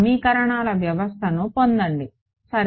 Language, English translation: Telugu, Get a system of equations ok